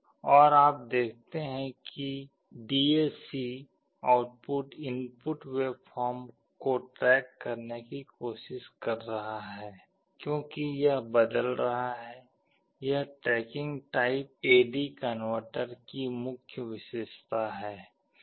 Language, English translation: Hindi, And you see the DAC output is trying to track the input waveform as it is changing, this is the main characteristic of the tracking type A/D converter